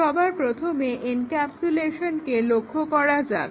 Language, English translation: Bengali, First let us look at encapsulation